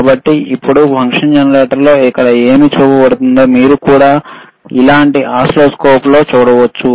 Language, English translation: Telugu, So now, whatever is showing here on the function generator, you can also see similar thing on the oscilloscope